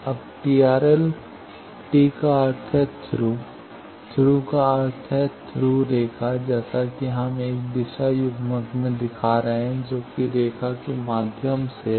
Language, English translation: Hindi, Now, TRL T stands for Thru, Thru means a Thru line as we are showing in a direction coupler that thru line